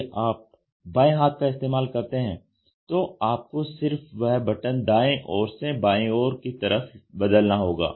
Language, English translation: Hindi, If you are a left hander all you have to do is swap that button from the right hand side to the left hand side